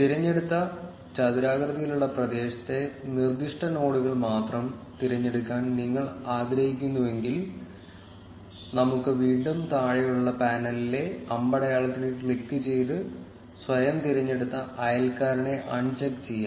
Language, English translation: Malayalam, If you want to select only the specific nodes in the selective rectangular area, then we can again click on the arrow on the bottom panel and uncheck the auto select neighbor